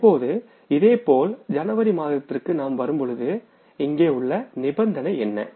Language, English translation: Tamil, Now similarly we come to the month of January that what is the condition here for the purchases